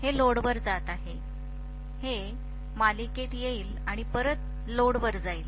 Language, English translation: Marathi, This is going to the load, this will come in series and go back to the load